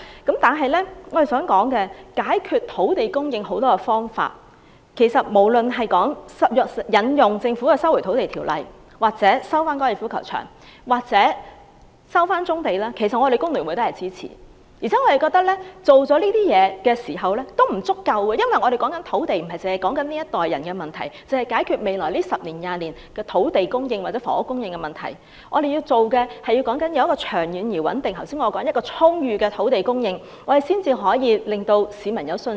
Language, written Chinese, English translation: Cantonese, 解決土地供應問題有很多種方法，無論是政府引用《收回土地條例》收地、收回粉嶺高球場或收回棕地，工聯會都支持，但我們覺得即使這樣也不足夠，因為我們不單要解決這一代人的房屋問題，不單是解決未來10年或20年的土地供應或房屋供應問題，我們還要有長遠、穩定及充裕的土地供應，才可以令市民有信心。, There are many ways to resolve the land supply problem . FTU supports the Governments invocation of the Land Resumption Ordinance to resume land the Golf Course or brownfield sites . But we think that is not enough because we do not merely have to resolve the housing problem of this generation or to resolve the land supply or housing supply problems for the next 10 or 20 years we also have to ensure a steady and ample land supply in the long run so as to gain the confidence of the public